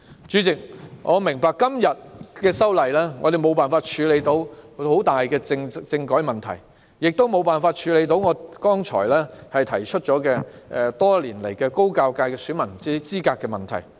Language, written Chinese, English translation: Cantonese, 主席，我明白今次修例無法處理政改問題，也無法處理我剛才提及的存在多年的高教界選民資格問題。, President I understand that this legislative amendment cannot deal with the issue of constitutional reform and it also cannot deal with the issue of the eligibility of voters of Higher Education subsector that has existed for years as I have just mentioned